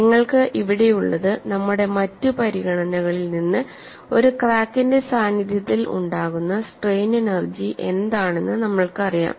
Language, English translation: Malayalam, And what you have here is, we know from our other considerations, what is the strain energy in the presence of a crack